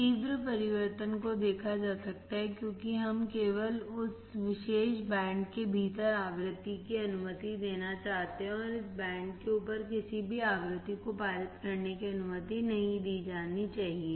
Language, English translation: Hindi, The sharp change can be seen because we want to only allow the frequency within this particular band; and any frequency above this band, should not be allowed to pass